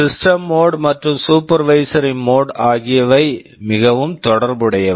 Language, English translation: Tamil, The system mode and supervisory mode are very much related